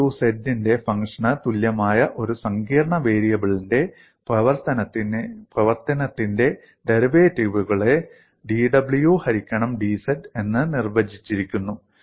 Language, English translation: Malayalam, The derivatives of a function of a complex variable, w equal to f of z, is defined by dw by dz